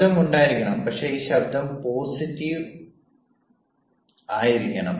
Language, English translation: Malayalam, there has to be noise, but this noise has to be positive noise in the sense